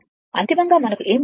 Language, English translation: Telugu, Ultimately, what we got